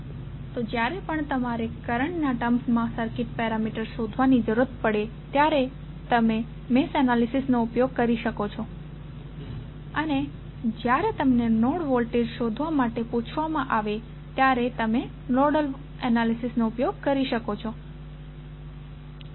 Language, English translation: Gujarati, So, whenever you see that you need to find out the circuit parameters in terms of currents you can use mesh analysis and when you are asked find out the node voltages you can use nodal analysis